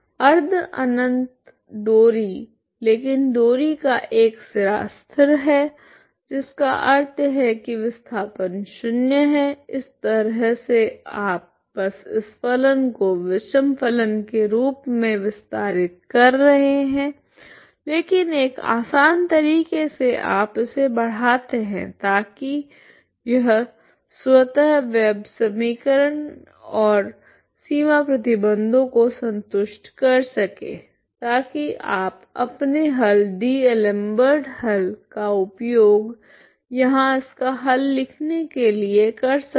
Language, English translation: Hindi, Semi infinite string but the one end of the string is fixed that means displacement is zero this is how you simply the idea is simply extending this functions as odd functions but in a smoother way ok you extend it in a smooth way so that it is automatically satisfies wave equation and the boundary conditions so that you can you can make use of your solution D'Alembert solution to write its solution here ok